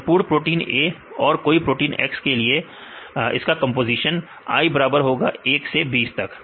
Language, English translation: Hindi, The composition of the whole proteins A and for any X right i equal to 1 to 20 right you can take this i